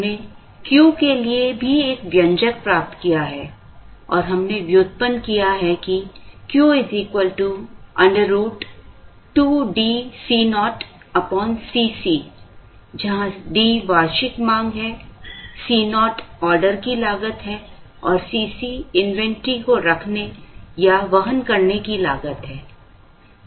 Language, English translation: Hindi, We also derived an expression for Q and we derived that Q is equal to root over 2 D C naught by C c, where D is the annual demand, C naught is the order cost or cost of placing an order and C c is the cost of holding or carrying inventor